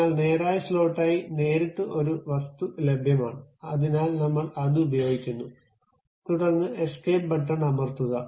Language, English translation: Malayalam, But there is an object straight forwardly available as straight slot; so, we are using that, then press escape